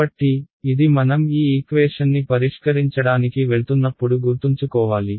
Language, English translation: Telugu, So, this is the we should keep in mind as we go towards solving these equation ok